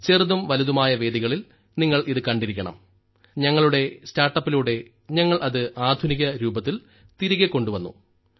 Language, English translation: Malayalam, You must have seen it in big and small akhadas and through our startup we have brought it back in a modern form